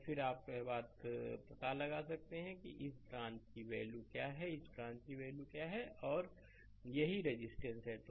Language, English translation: Hindi, And then you can find out this what is the value of this branch, what is the value of this branch, this is the this is the resistance